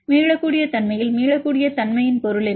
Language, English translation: Tamil, In the reversibility what is the meaning of reversibility